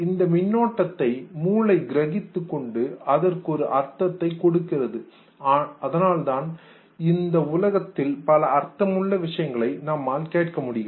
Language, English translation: Tamil, This neural circuit finally is perceived by the brain assigned a meaning and thereby we hear meaningful things in the world